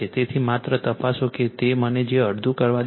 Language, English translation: Gujarati, So, just check just check it will let me let me make it half right